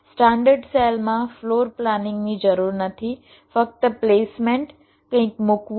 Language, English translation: Gujarati, in standard cell, floor planning is not required, only placement placing something